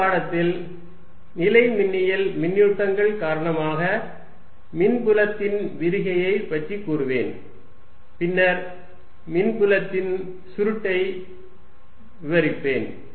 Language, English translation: Tamil, In the next lecture I will talk about divergence of electric field due to electrostatic charges and then go on to describe the curl of the electric field